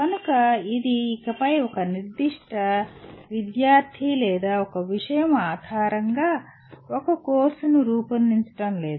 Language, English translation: Telugu, So it is no longer designing a course purely based on a particular disciple or a subject